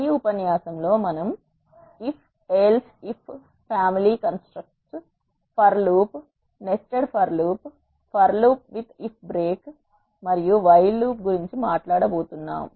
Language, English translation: Telugu, In this lecture we are going to talk about if else if family constructs, for loop nested for loops, for loop with if break and while loop